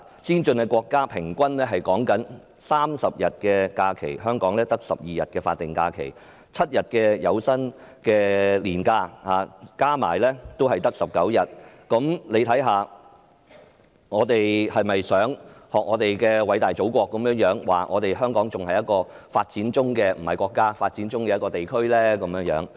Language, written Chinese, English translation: Cantonese, 先進國家的勞工平均有30天假期，香港只有12天法定假期及7天有薪年假，總數也只有19天，我們是否想學偉大祖國所說，香港仍是一個處於發展中——不是國家——的地區呢？, While workers in advanced countries have 30 days of holiday on average there are only 12 days of statutory holiday and 7 days of paid annual leave totalling only 19 days in Hong Kong . Do we want to learn from our great Motherland to say that Hong Kong is still a developing region replacing the word country?